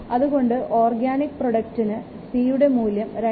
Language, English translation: Malayalam, For organic product, the value of c is 2 to the power 2